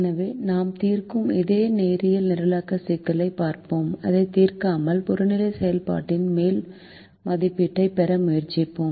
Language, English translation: Tamil, so let us look at the same linear programming problem that we have been solving and try to get an upper estimate of the objective function without solving it